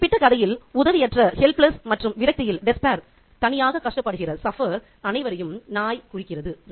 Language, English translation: Tamil, And in the case of this particular story, the dog represents anybody who is helpless and who is left to suffer alone in despair